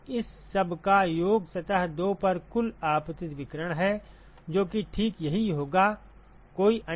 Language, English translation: Hindi, So, sum over all of this is the total incident radiation to surface 2 that is exactly what that summation ok